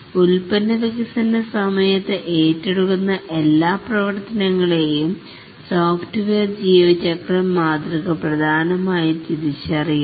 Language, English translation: Malayalam, The software lifecycle model essentially identifies all the activities that are undertaken during the product development